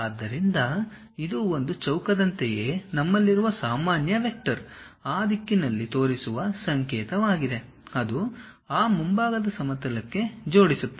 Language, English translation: Kannada, So, this is the symbol what we have something like a square with normal vector pointing in that direction if you click that it will align to that front plane